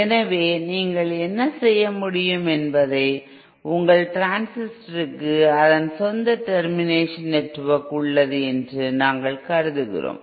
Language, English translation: Tamil, So what you can do is you know suppose we assume that your transistor has its own termination network which produces a given Gamma in